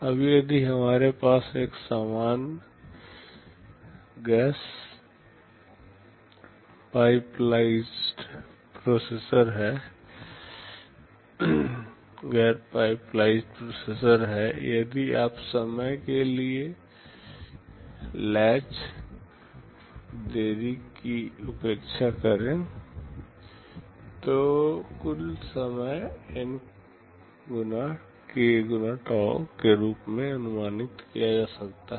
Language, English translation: Hindi, Now, if we have an equivalent non pipelined processor, if you ignore the latch delays for the time being, then the total time can be estimated as N x k x tau